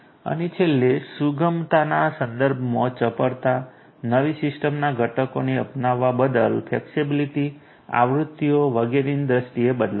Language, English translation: Gujarati, And finally, agility with respect to flexibility, flexibility to change you know adoption of newer systems components changes in terms of the versions etcetera